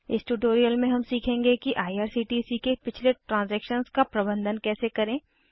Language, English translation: Hindi, In this tutorial, we will learn how to manage the earlier transactions of irctc